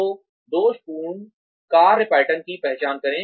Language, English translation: Hindi, So, identify faulty work patterns